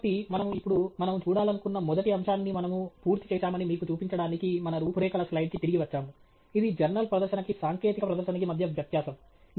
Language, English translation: Telugu, So, we are back to our outline now just to show you that we have completed the first topic that we wanted to look at which is technical presentation versus a journal article